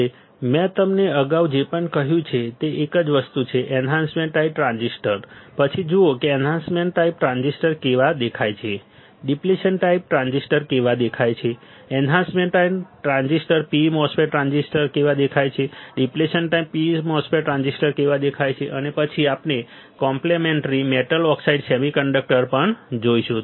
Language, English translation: Gujarati, Now, whatever I have told you earlier is same thing, enhancement type transistors then see how the enhancement type transistors looks like, how the depletion type transistors look like, how the enhancement type p mos transistor looks like, how the depletion type p mos transistor looks like and then we will also see the complementary metal oxide semiconductor